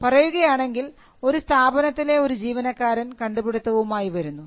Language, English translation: Malayalam, Say, an employee in an organization comes out with an invention